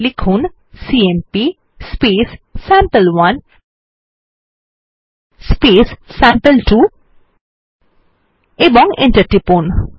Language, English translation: Bengali, We will write cmp space sample1 space sample2 and press enter